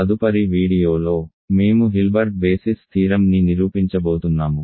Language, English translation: Telugu, In the next video, we are going to prove the Hilbert basis theorem